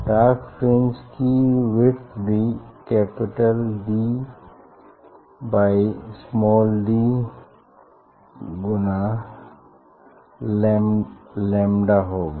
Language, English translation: Hindi, width of this dark fringe will be capital D by small d lambda